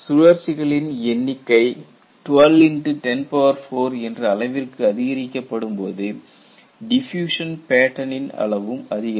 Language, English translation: Tamil, When the number of cycles increased to 12 into 10 power 4, the size of the diffusion pattern has definitely grown